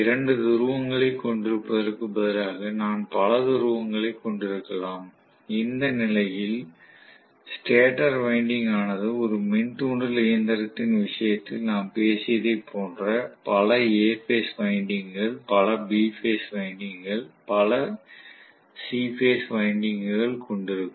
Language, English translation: Tamil, Instead, of having two poles I can also have multiple number of poles in which case the stator winding will also have multiple A phase winding, multiple B phase winding, multiple C phase winding like what we talked about in the case of induction machine